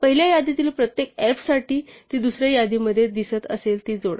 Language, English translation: Marathi, For every f in the first list if it appears in the second list add it